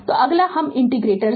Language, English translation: Hindi, So, next we will take the inductors right